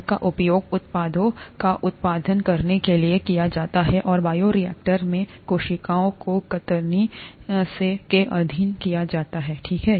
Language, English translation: Hindi, They are used to produce products, and in the bioreactor, the cells are subjected to shear, okay